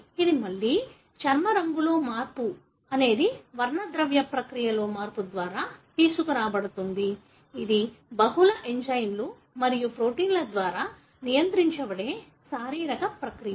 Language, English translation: Telugu, This again, the change in the, skin colour is brought about by change in the pigmentation process which is a physiological process regulated by multiple enzymes and proteins